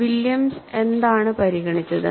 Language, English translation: Malayalam, And what Williams considered